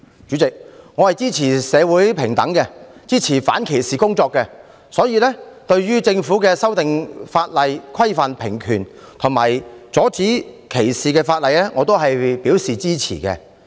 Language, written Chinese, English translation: Cantonese, 主席，我支持社會平等，支持反歧視工作，對政府修訂法例以規範平權及阻止歧視表示支持。, President I support equality in society; I support anti - discrimination work; and I support the Governments legislative amendment exercise to regulate equality of rights and prohibit discrimination